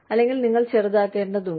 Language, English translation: Malayalam, Or, you may need to downsize